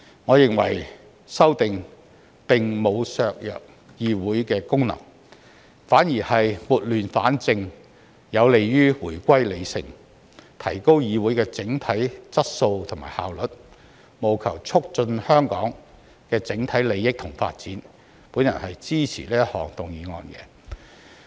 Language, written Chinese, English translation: Cantonese, 我認為修訂並無削弱議會的功能，反而是撥亂反正，有利於回歸理性，提高議會的整體質素和效率，務求促進香港的整體利益和發展，我支持這項議案。, In my view the amendment exercise has not undermined the functions of the legislature . On the contrary through bringing order out of chaos it is conducive to our return to reasoning and enhancing the overall quality and efficiency of the Council with a view to promoting the overall interests and development of Hong Kong . I support this motion